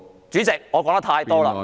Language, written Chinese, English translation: Cantonese, 主席，我說得太多了。, President I have said too much